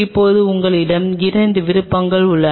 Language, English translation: Tamil, Now you are options are two